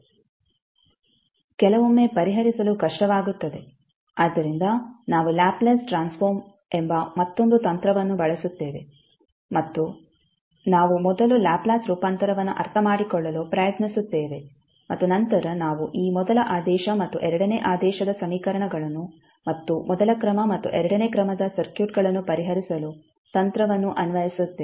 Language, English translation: Kannada, It is sometimes difficult to solve, so we will use another technic called laplace transform and we will try to understand first the laplace transform and then we will apply the technic to solve this first order and second order equations and first order and second order circuits again